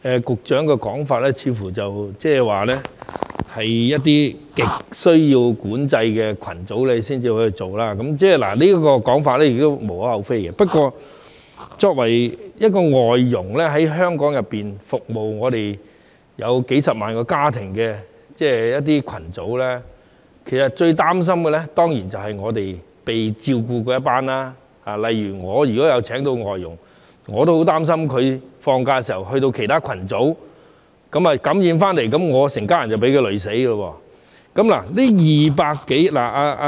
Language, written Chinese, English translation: Cantonese, 局長的說法似乎是一些極需要管制的群組才會處理，這說法亦無可厚非，不過，外傭作為服務香港數十萬個家庭的群組，感到最擔心的當然是被照顧的一群，如果我有聘請外傭，我也會擔心他在放假時從其他群組受到感染，那麼我全家人都會被他連累。, Such a remark is not totally unjustifiable . However as FDHs are a group serving hundreds of thousands of families in Hong Kong those under their care are of course most worried . If I have hired FDH I would also worry that he might be infected by other groups of people on his rest days and then my whole family would be affected by him